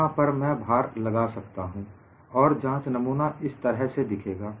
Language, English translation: Hindi, So, I have a place where I can apply the load and the specimen is like this